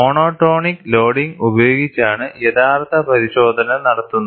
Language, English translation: Malayalam, The actual test is done by monotolic loading